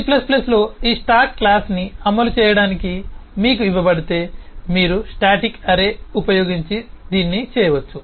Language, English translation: Telugu, But if you are given to implement this stack class in c plus plus, you could do that using a static array